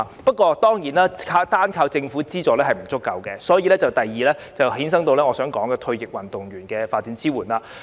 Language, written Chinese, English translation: Cantonese, 不過，單靠政府資助當然並不足夠，故此引申我想說的第二點，即退役運動員的發展支援。, However it is certainly not enough to just rely on the Governments financial support which brings us to my second point support for retired athletes career development